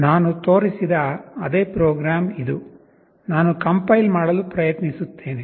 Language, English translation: Kannada, This is the same program that I have shown, this I am trying to compile